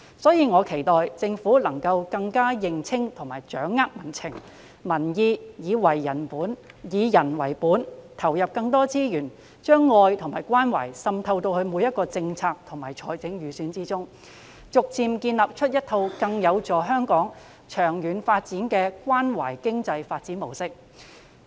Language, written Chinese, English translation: Cantonese, 因此，我期待政府能夠更認清及掌握民情和民意，以人為本，投入更多資源，將愛與關懷滲透到每一項政策及預算之中，逐漸建立一套更有助香港長遠發展的關懷經濟發展模式。, Therefore I hope that the Government will clearly find out public sentiments and gauge public views . And by adopting a people - oriented approach and putting in more resources it will spread love and care to each and every policy and estimate with a view to gradually establishing a caring model that is conducive to the long - term economic development of Hong Kong